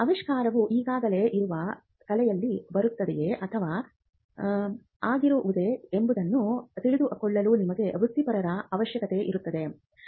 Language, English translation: Kannada, It requires professionals who can help you in searching whether the invention is already fallen into the prior art or whether it is novel